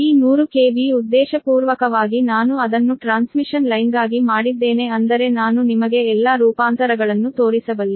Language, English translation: Kannada, this hundred k v, intentionally i have made it for transmission line such that i can show you all the transformation